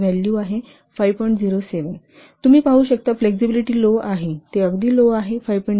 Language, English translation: Marathi, 07 you can see flexibility is low is very low it's 5